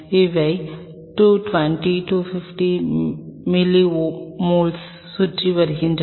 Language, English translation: Tamil, These are hovering around in 220 250 milliosmoles